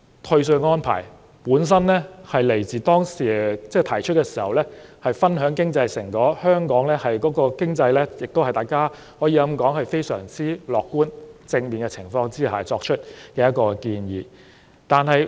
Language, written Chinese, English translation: Cantonese, 退稅安排的原意是讓市民分享經濟成果，這是一項基於大家對香港經濟感到非常樂觀和正面而作出的建議。, The original intent of the tax rebate arrangement is for the public to share the fruits of economic prosperity . This is a proposal made on the basis of the very optimistic and positive public sentiments towards the Hong Kong economy